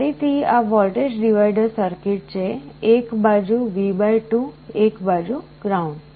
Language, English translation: Gujarati, Again this is a voltage divider circuit, one side V / 2 one side ground